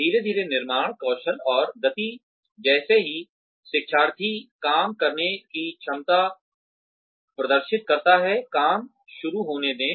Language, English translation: Hindi, Gradually building up, skill and speed, as soon as, the learner demonstrates the ability to do the job, let the work begin